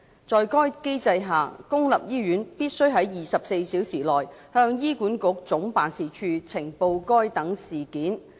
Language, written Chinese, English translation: Cantonese, 在該機制下，公立醫院必須在24小時內向醫管局總辦事處呈報該等事件。, Under the mechanism public hospitals must report such events to the HA Head Office within 24 hours